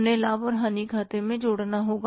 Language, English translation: Hindi, They will have to be added in the profit and loss account